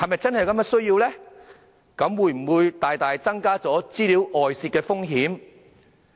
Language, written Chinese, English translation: Cantonese, 這會否大大增加資料外泄的風險呢？, Would this substantially increase the risk of leakage?